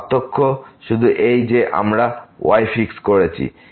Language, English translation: Bengali, The only difference is that because we have fixed this